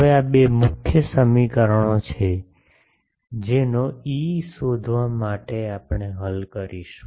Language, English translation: Gujarati, Now, these are the two main equations that we will solve to find out E